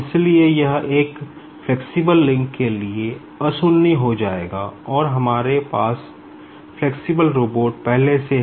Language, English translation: Hindi, So, this will become nonzero for a flexible link and we have a few robot having flexible link, also